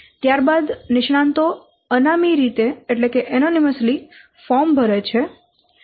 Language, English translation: Gujarati, Then the experts fill out the firms anonymously